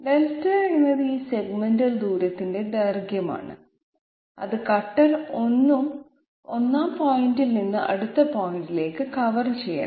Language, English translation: Malayalam, Delta is the length of this segmental distance that the cutter is supposed to cover from the 1st point to the next point